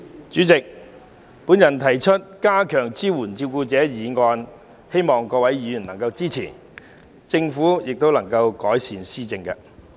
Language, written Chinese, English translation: Cantonese, 主席，我動議"加強對照顧者的支援"的議案，希望各位議員能予以支持，並且政府能改善有關措施。, President I move the motion entitled Enhancing support for carers hoping that Members will support it and the Government will improve its relevant measures